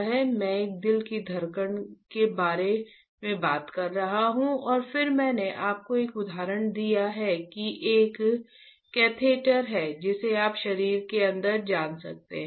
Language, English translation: Hindi, And I was talking about the beating of heart and then I gave you an example that there is a catheter which you can you know place inside the body and not you of course